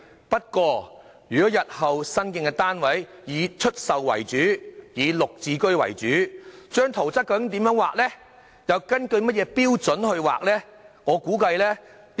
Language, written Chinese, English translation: Cantonese, 不過，如果日後新建的單位以出售為主、以"綠置居"為主，圖則又該如何繪畫及根據甚麼標準去繪畫呢？, If newly - built flats are mainly for sale under GSH in the future then how and according to what standard should the building plans be drawn?